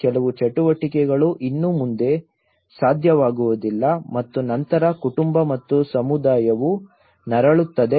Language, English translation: Kannada, Certain activities are no longer possible and then the family and the community suffers